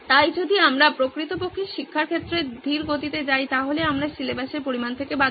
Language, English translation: Bengali, So if we actually go slow in teaching we are going to miss out on the extent of syllabus